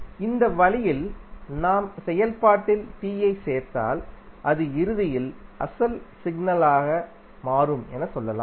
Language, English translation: Tamil, So, in this way we can say if we add capital T in the function, it will eventually become the original signal